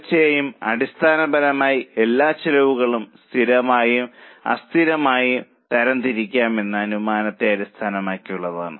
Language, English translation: Malayalam, Of course, fundamentally it is based on the assumption that all costs can be classified into variable and fixed